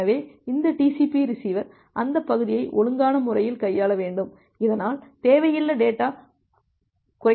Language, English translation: Tamil, So, this TCP receiver it should handle the out of order the segment in a proper way so, that data wastage is minimized